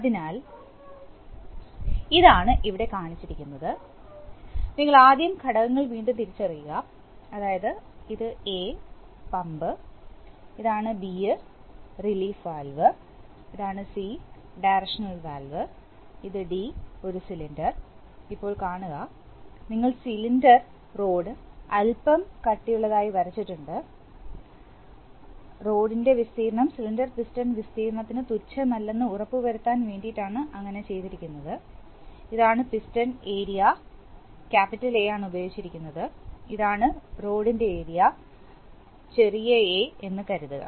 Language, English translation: Malayalam, So, that is exactly what is being shown here, so you see again identify components first, so you have this is say A pump, this is B relief valve, this is C directional valve and this is D a cylinder, now see that, we have drawn the cylinder rod a bit thick, just to ensure that the rod area is not negligible to the cylinder piston area, this is the piston area capital A and this is the rod area small a, Supposedly